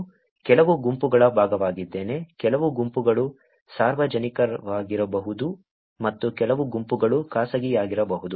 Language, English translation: Kannada, I am also part of some groups, some groups can be public, and some groups can be private